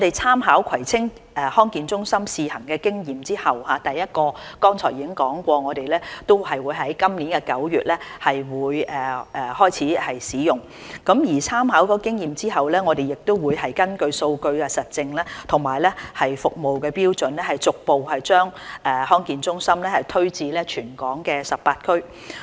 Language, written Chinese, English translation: Cantonese, 參考葵青康健中心試行的經驗後，剛才提過第一個地區康健中心將於今年9月開始使用，參考經驗後我們會根據數據實證及服務標準逐步把康健中心推展至全港18區。, It was mentioned earlier that the first DHC will commence operation in September this year . Drawing on the pilot experience of the Kwai Tsing District Health Centre we will progressively extend DHCs to all 18 districts across the territory having regard to data evidence and service standards